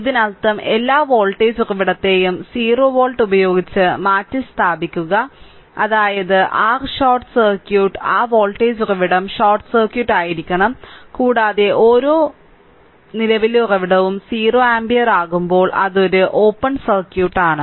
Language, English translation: Malayalam, This means we replace every voltage source by 0 volt; that means, your short circuit that voltage source should be short circuit, and every current source by 0 ampere that is it is an open circuit right